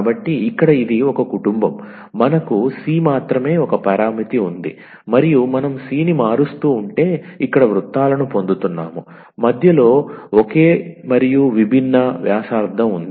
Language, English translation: Telugu, So, here it is a family were we have only one parameter that is c and if we keep on changing the c we are getting the circles here, with centre same and different radius